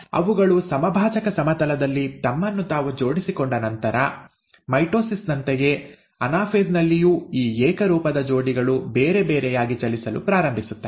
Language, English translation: Kannada, After they have arranged themselves at the equatorial plane, just like in mitosis, in anaphase, these homologous pairs start moving apart